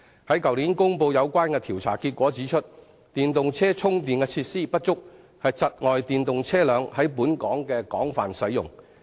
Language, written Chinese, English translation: Cantonese, 於去年公布的調查結果顯示，電動車充電設施不足，窒礙電動車在本港的廣泛使用。, The findings announced last year show that the shortage of charging facilities has impeded the extensive use of EVs in Hong Kong